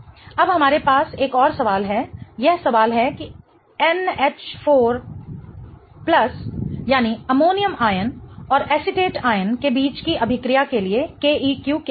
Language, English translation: Hindi, It is a question of what is the KEQ for the reaction between NH4 plus, that is the ammonium ion and acetate ion